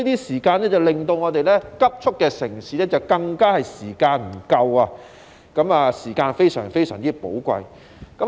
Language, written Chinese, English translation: Cantonese, 時間減少了，令生活節奏急速的城市人的時間更加不夠，時間變得非常寶貴。, Given less time to spare the urbanites whose tempo of life is very fast have found their time even scarcer . Time has thus become most precious